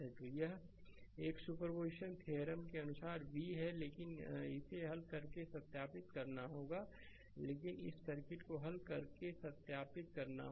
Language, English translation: Hindi, So, that is this is this is v as per superposition theorem, but you have to verify by solving let me clear it, but you have to verify by solving this circuit